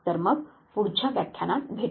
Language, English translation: Marathi, So, see you in the next lecture